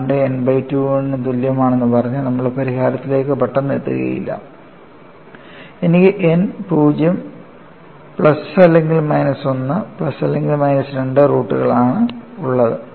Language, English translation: Malayalam, We are not just jumping into the solution by saying lambda equal to n by 2, and I have n 0 plus or minus 1 plus or minus 2 all roots